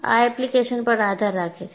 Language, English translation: Gujarati, So, it depends on the given application